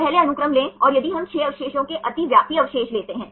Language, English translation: Hindi, First take the sequence and if we take the overlapping residues of 6 residues